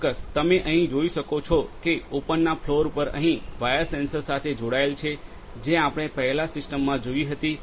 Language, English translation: Gujarati, As you can see here sir, the system of wires here are connected to the sensors on the top floor, where we had already seen the system